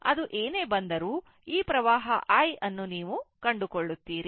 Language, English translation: Kannada, Whatever it comes, so, this this current you find out i